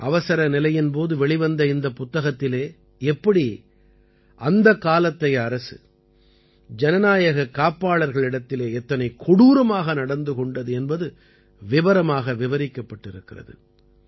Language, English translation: Tamil, This book, published during the Emergency, describes how, at that time, the government was treating the guardians of democracy most cruelly